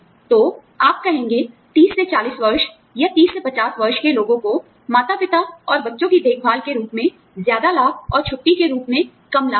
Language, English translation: Hindi, So, you will say, people between the age of, say, 30 to 40, or, 30 to 50, will get more benefits, in terms of, parent and child care, and less benefits, in terms of vacation